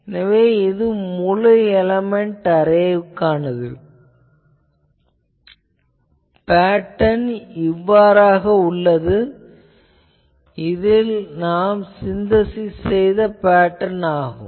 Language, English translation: Tamil, So, for a seven element array, you see the pattern is like this, the synthesized pattern